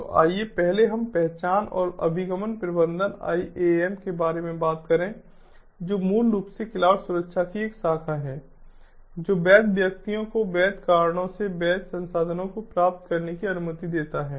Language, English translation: Hindi, so let us first talk about identity and access management am, which is basically a branch of cloud security that allows the legitimate persons to retrieve the legitimate resources at legitimate time for legitimate reasons